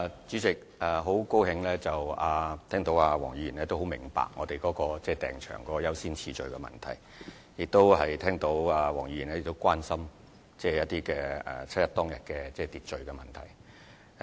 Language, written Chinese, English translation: Cantonese, 主席，我很高興聽到黃議員明白我們為訂場申請編訂了優先次序，亦聽到黃議員關心7月1日的秩序問題。, President I am pleased to hear that Dr WONG appreciates that we have determined the order of priority for the application for booking the venues and I have also noted her concern about public order on 1 July